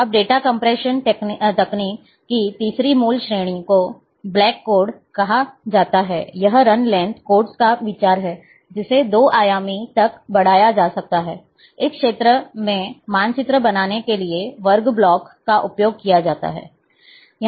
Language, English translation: Hindi, Now the third basic category of a data compression technique, is called black codes, that is the idea of the run length codes can be extended to 2 dimensions, by using square blocks to tile the area to be mapped